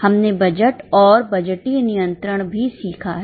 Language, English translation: Hindi, We have also learned budgeting and budgetary control